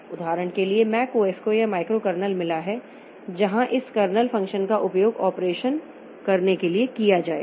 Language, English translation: Hindi, For example, this MAC OS, it has got this microcarnel where this kernel functions will be utilized for getting the operations done